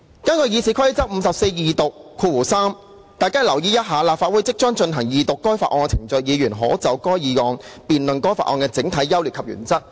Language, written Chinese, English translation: Cantonese, 根據《議事規則》第543條，"立法會即須進行二讀該法案的程序，議員可就該議案辯論該法案的整體優劣及原則。, According to Rule 543 of the Rules of Procedure the Council shall proceed to the second reading of a bill and on this motion a debate may arise covering the general merits and principles of the bill